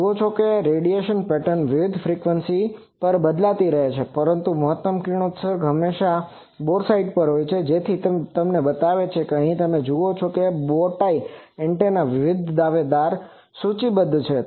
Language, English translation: Gujarati, You see the radiation pattern is changing at various frequencies, but the maximum radiation is always at the boresight so that makes it that that is why you see here it is listed that various contender for this bowtie antenna